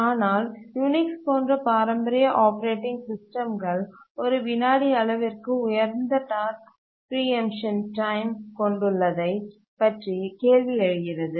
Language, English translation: Tamil, But then you might be wondering at this point that why is that the traditional operating systems like Unix have such a high task preemption time of a second or something